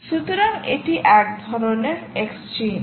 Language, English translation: Bengali, so what are the type of exchanges